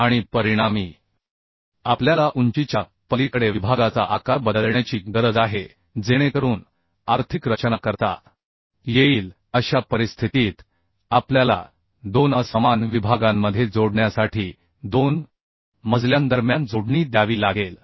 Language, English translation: Marathi, And as a result we need to change the section size across the height and so that the economic design can be done in such cases we have to provide splices between two floors to join between two two unequal sections